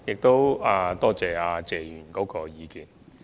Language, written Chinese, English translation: Cantonese, 多謝謝議員的意見。, I thank Mr TSE for his views